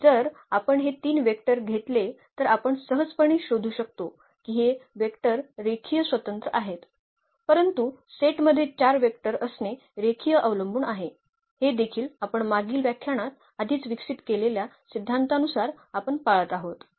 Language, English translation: Marathi, And but if we take those 3 vectors we can easily figure out their those vectors are linearly independent, but having those 4 vectors in the set the set becomes linearly dependent, that also we can observe with the theory we have already developed in previous lectures